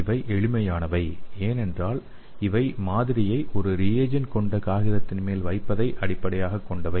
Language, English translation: Tamil, so these are the simplest one because these are based on blotting of the sample onto a paper pre stored with reagents